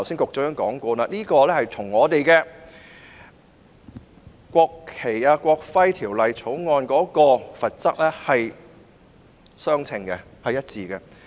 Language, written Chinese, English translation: Cantonese, 局長剛才已指出，有關罰則與《國旗及國徽條例》的罰則是一致的。, The Secretary has just pointed out that the penalty is consistent with that under the National Flag and National Emblem Ordinance NFNEO